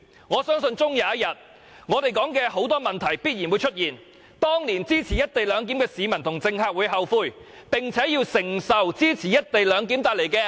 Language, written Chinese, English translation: Cantonese, 我相信終有一天，我們提出的種種問題必然會出現，而支持"一地兩檢"的市民和政客也會後悔，並且要承受支持"一地兩檢"所帶來的共孽。, I believe the problems highlighted by us will emerge one day and the people and politicians who support the co - location arrangement will regret and bear the collective karma caused by giving support